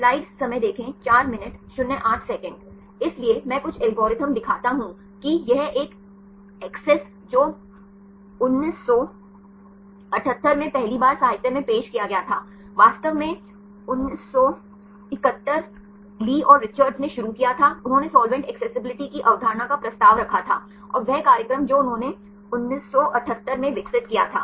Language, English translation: Hindi, So, I show some of the algorithms one is the ACCESS this is the one first introduced the literature in 1978, actually started 1971 Lee and Richards they proposed the concept of solvent accessibility, and the program they developed in 1978